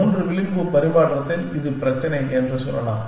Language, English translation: Tamil, In 3 edge exchange let say, this is the problem